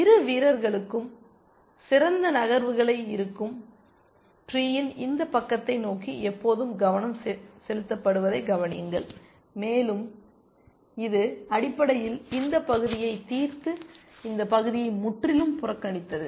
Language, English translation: Tamil, Observe that it is attention is always been focused towards this side of the tree where the best moves lie for both the players, and it has basically solved this part and ignored this part altogether essentially